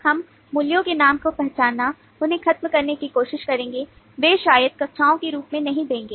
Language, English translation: Hindi, we will try to identify, eliminate the names of values they may not give as classes